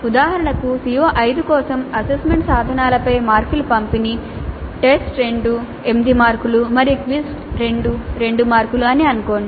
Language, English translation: Telugu, For example, assume that the distribution of marks over assessment instruments for CO5 is test to 8 marks and quiz 2 marks